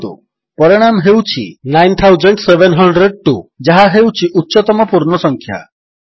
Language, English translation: Odia, You see that the result is now 9702 which is the higher whole number